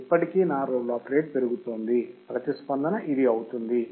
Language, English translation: Telugu, Still my roll off rate is increasing, response will be this